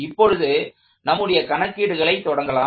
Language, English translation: Tamil, So, let us start making our calculations